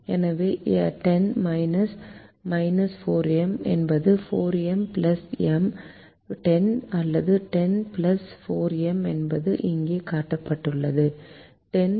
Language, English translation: Tamil, so ten minus minus four m is four m plus ten, or ten plus four m, which is shown here: ten plus four m